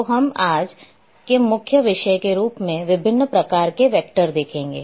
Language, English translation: Hindi, We will see different types of vectors as the main topic of today